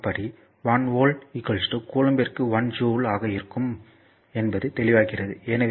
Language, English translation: Tamil, 4 it is evident that 1 volt is equal to if it is this side is 1 volt it will be 1 joule per coulomb